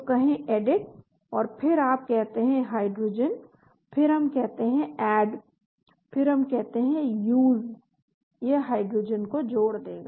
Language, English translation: Hindi, So say Edit and then you say Hydrogen then we say Add, then we say ues, it will add hydrogen